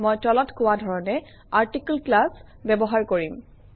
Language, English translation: Assamese, I will use the article class as follows